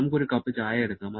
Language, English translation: Malayalam, Let us take a cup of tea